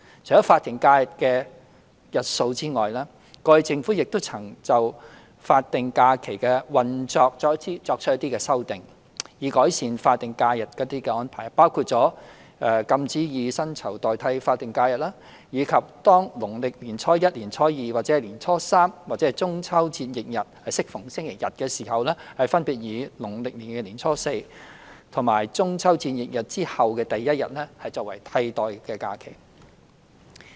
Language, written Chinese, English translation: Cantonese, 除法定假日的日數外，過去政府亦曾對法定假日的運作作出不同的修訂，以改善法定假日的安排，包括禁止以薪酬代替法定假日，以及當農曆年初一、年初二、年初三或中秋節翌日適逢星期日時，分別以農曆年初四及中秋節翌日之後的第一日作為替代假期。, Apart from the number of statutory holidays the Government has also made various amendments to the operation of statutory holidays to improve the arrangements concerned . These amendments include prohibiting payment in lieu of statutory holiday; designating the fourth day of Lunar New Year as a holiday in substitution when either Lunar New Years Day the second day of Lunar New Year or the third day of Lunar New Year falls on a Sunday; and designating the second day following the Chinese Mid - Autumn Festival as a holiday in substitution when the day following the Chinese Mid - Autumn Festival falls on a Sunday